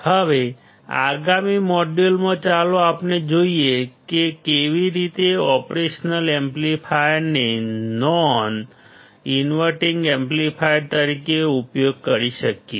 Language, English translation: Gujarati, Now, in the next module; let us see how we can use operation amplifier as the non inverting amplifier